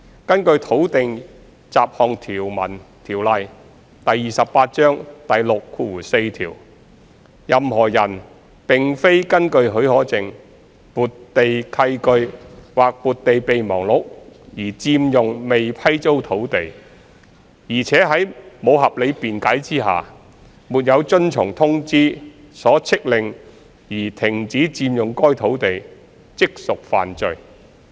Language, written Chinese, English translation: Cantonese, 根據《土地條例》第64條，任何人並非根據許可證、撥地契據或撥地備忘錄而佔用未批租土地，且在無合理辯解下，沒有遵從通知所飭令而停止佔用該土地，即屬犯罪。, In accordance with section 64 of the Land Ordinance Cap . 28 any person occupying unleased land otherwise than under a licence or a deed or memorandum of appropriation who without reasonable excuse does not cease to occupy the same as required by a notice shall be guilty of an offence